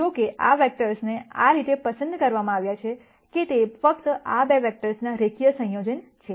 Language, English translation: Gujarati, However, these vectors have been picked in such a way, that they are only linear combination of these 2 vectors